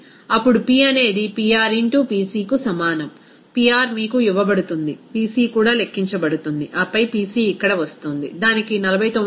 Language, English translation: Telugu, Then P will be is equal to what, P will be is equal to Pr into Pc, Pr is given to you, Pc also to be calculated, and then Pc is coming here, it is also given 49